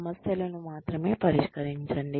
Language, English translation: Telugu, Address only the issues